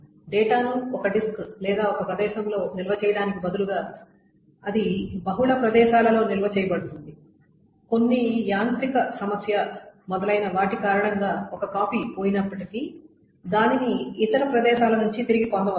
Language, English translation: Telugu, So instead of storing the data in only one disk or one place, it is stored in multiple places such that even if one copy is lost due to some mechanical problem, etc